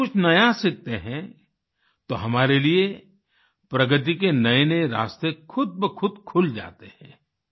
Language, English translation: Hindi, When we learn something new, doors to new advances open up automatically for us